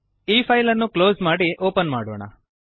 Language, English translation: Kannada, Let us close and open this file